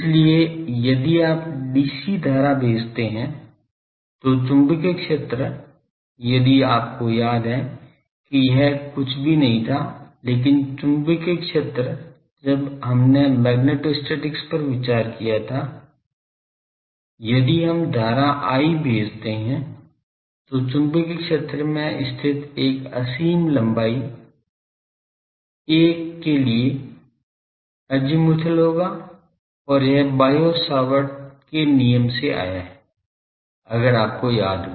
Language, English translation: Hindi, So, if you send dc current the magnetic field is this if you remember that this was nothing, but the magnetic field when we have considered magnetostatics if we send the current of I, then for a infinitesimal length l on that the magnetic field will be azimuthal and is this came from Biot Savart Law if you remember